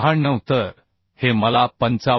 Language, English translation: Marathi, 96 So this I can find as 55